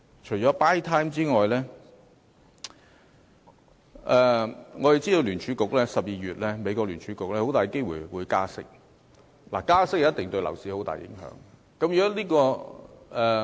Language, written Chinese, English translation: Cantonese, 除了 "buy time" 外，我們知道美國聯邦儲備局在12月有很大機會加息，而加息對樓市一定會有很大影響。, Apart from buying time we all know that the Federal Reserve of the United States will very likely raise interest rates in December which will definitely have a great impact on the property market